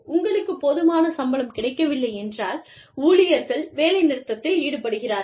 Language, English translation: Tamil, If you are not getting, enough salary, employees tend to go on strike